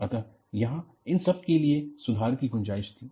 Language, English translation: Hindi, So, there was scope for improvement for all this